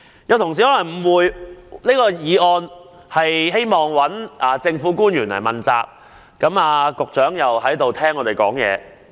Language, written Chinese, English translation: Cantonese, 有議員可能誤會這項議案旨在向政府官員問責；局長也在席上聽我們發言。, Some Members may have the misunderstanding that the motion seeks to hold government officials accountable; the Secretary is also in the Chamber to listen to our speeches